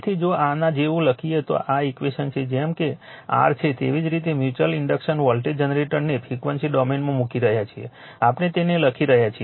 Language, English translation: Gujarati, So, that like your that it is same way you are putting that mutual inductance voltage generator in frequency domain we are writing it